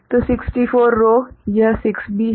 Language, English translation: Hindi, So, 64 rows right here also 6 is there